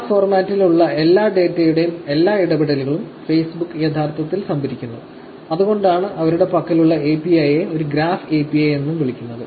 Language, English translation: Malayalam, Facebook actually stores all interactions, of all data that they have within the graph format; that is why the API that they have is also called as a graph API